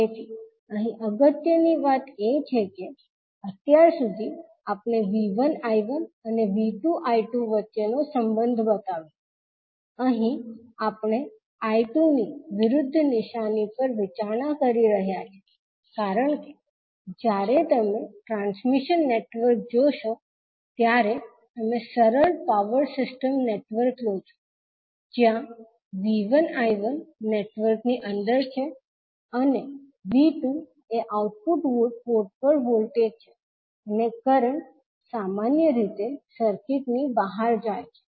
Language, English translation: Gujarati, So here the important thing is that till now we shown the relationship between V 1 I 1 and V 2 I 2, here we are considering the opposite sign of I 2 because when you see the transmission network you take the simple power system network where the V 1 I 1 is inside the network and V 2 is the output port voltage and current generally goes out of the circuit